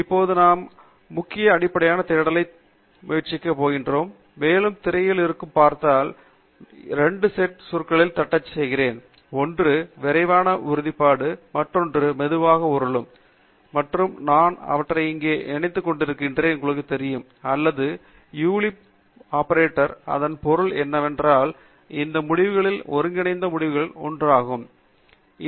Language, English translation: Tamil, We are just now going to try out this kind of a keyword based search, and as you can see from the screen, I have typed in two sets of words; one is rapid solidification and the other is melt spinning, and I am combining them here with, you know, OR Boolean operator, which means that we will get a union of the results that are combined from both these searches